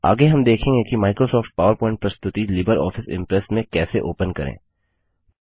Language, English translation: Hindi, Next, we will see how to open a Microsoft PowerPoint Presentation in LibreOffice Impress